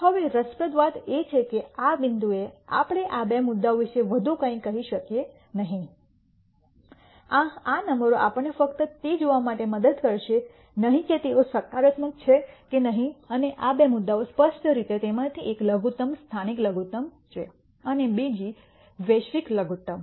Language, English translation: Gujarati, Now, it is interesting that at this point we cannot say anything more about these two points these numbers do not help we just look whether they are positive or not and of these two points clearly one of them is a local minimum another one is a global minimum